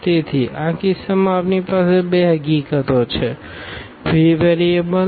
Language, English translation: Gujarati, So, in this case we have two in fact, free variables